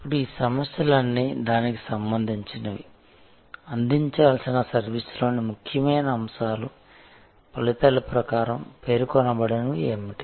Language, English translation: Telugu, Now, all of these issues are relating to that, what are the important elements of the service that are to be provided that are being provided stated in terms of the results